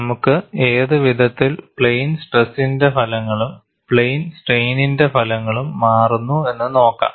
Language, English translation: Malayalam, We will also look at what way the results of plane stress, and how the results change for plane strain